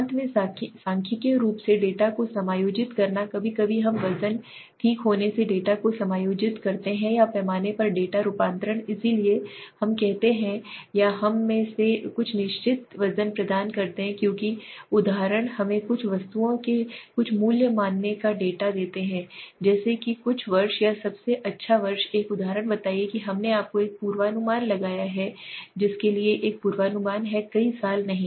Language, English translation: Hindi, Finally statistically adjusting the data sometimes we adjust the data by getting weights okay or transforming the scale so data transformation we do and or we assign certain weights in or for example let us take a data of suppose some price of some commodities as per some year or let say the best one example let us take this you have done a forecasting there is a forecasting for several years right